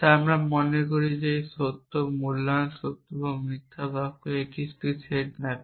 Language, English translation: Bengali, We are so remember this truth or valuation is a mapping to this set of true or false sentences